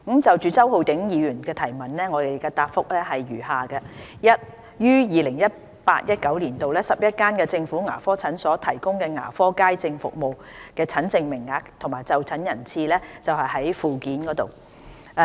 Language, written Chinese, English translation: Cantonese, 就周浩鼎議員的質詢，現答覆如下：一於 2018-2019 年度 ，11 間政府牙科診所提供的牙科街症服務診症名額及就診人次載於附件。, My reply to the question raised by Mr Holden CHOW is as follows 1 The consultation quota and attendance of general public sessions provided by each of the 11 government dental clinics in 2018 - 2019 are set out in Annex